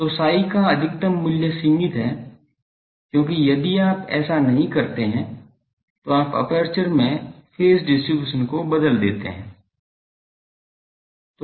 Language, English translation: Hindi, So, maximum value of psi is limited, because if you do not do that then you disturb the phase distribution at the aperture